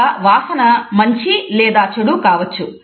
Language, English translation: Telugu, A smell can be positive as well as a negative one